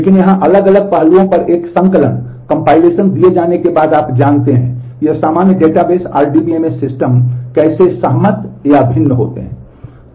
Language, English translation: Hindi, But here after given a compilation of different you know on different aspects, how do these common database RDMS systems agree or differ